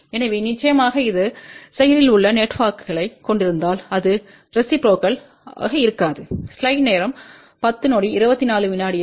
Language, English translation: Tamil, So, of course, if it consists of active network then it will not be reciprocal